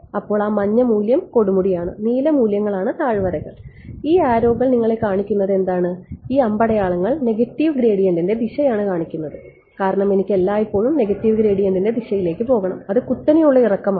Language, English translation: Malayalam, So, yellow value is the peak, blue values are the valleys and what are these arrows showing you these arrows are showing you the direction of the negative gradient because I want to always go in the direction of negative gradient that is the steepest descent that will take me to the minima